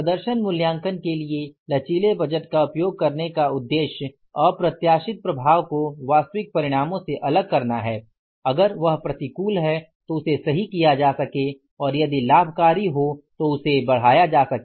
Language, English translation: Hindi, The intent of using the flexible budget for performance evaluation is to isolate unexpected effects on actual results that can be corrected if the adverse or enhanced if beneficial